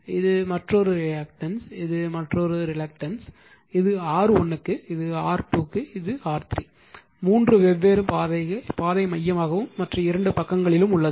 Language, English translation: Tamil, It is this is for this path you are getting reactance of this is another reactance, this is another reluctance, this is for R 1, this is R 2 and this is R 3, 3 different path right centrally and other two sides